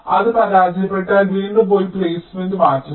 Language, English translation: Malayalam, if it fails, you again go back and change the placement